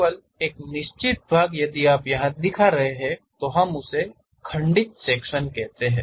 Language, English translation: Hindi, Only certain part if you are showing, we call broken out sections